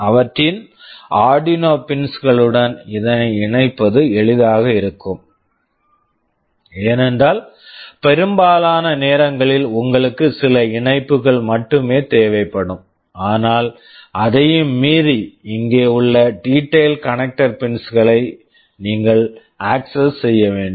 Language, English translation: Tamil, Having them connected to their Arduino pins will be easier because, most of the time you will be needing only a few connections, but beyond that you may have to have access to the detailed connector pins which are available here